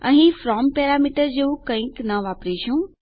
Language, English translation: Gujarati, We wont use something like a from parameter here